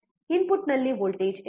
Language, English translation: Kannada, What is the voltage at the input